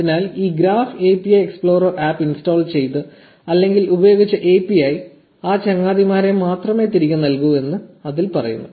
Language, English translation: Malayalam, So, it says that only those friends are returned by the API who have installed or used this graph API explorer app